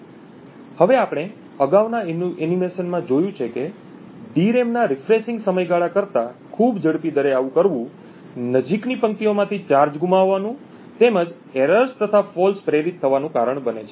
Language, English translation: Gujarati, Now as we have seen in the previous animations doing so within at a rate much faster than the refresh period of the DRAM would cause the adjacent rows to lose charge and induce errors and falls in the adjacent rows